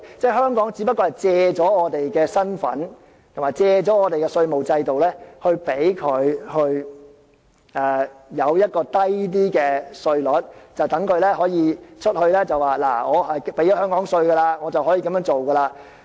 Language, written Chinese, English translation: Cantonese, 即只是借香港的身份和我們的稅務制度，令他們享有較低的稅率，並且向外表示：我已繳納香港稅項，可以這樣做。, That is to say they just make use of the identity and tax regime of Hong Kong so as to enjoy a lower tax rate on top of telling others that I am entitled to do this as I have paid Hong Kong tax